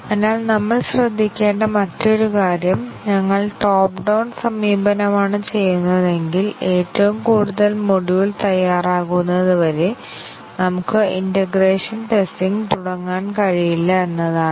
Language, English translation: Malayalam, So, another point that we need to observe is that if we are doing a top down approach, we cannot really start testing integration testing until the top most module is ready